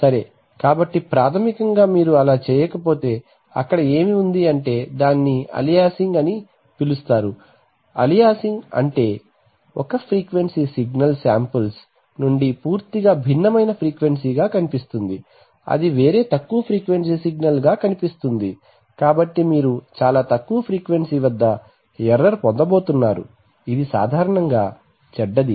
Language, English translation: Telugu, So this says that, so basically if you do not do that, what there is, then something happens called aliasing, aliasing means that one frequency signal will appear from the samples to be of completely a different frequency, it will appear as a different lower frequency signal, so you are going to get a lot of low frequency error which is, which is bad generally